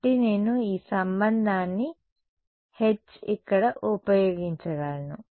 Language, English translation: Telugu, So, I can use this relation over here H is